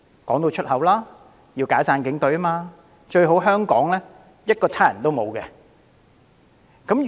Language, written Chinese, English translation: Cantonese, 他們直言要解散警隊，最好香港一個警察都沒有。, They bluntly urge for disbanding the Police Force believing that it is best for Hong Kong to be police - free